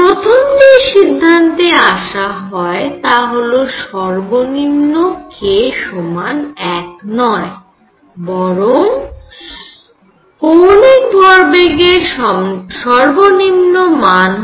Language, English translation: Bengali, All right, so, first conclusion that was drawn is k minimum is not equal to 1, rather angular momentum lowest value can be 0